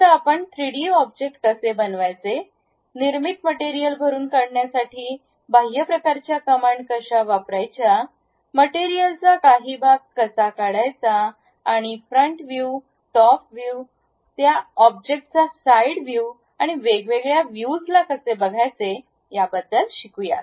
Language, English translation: Marathi, Now, we will learn about how to construct 3D objects, how to use extrude kind of commands filling the materials constructed, how to remove part of the materials and how to visualize different views like front view, top view, side view of that object and cut sections of that